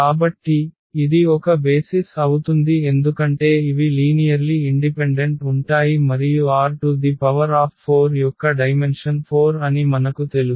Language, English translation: Telugu, So, this forms a basis because these are linearly independent and we know that the dimension of R 4 is 4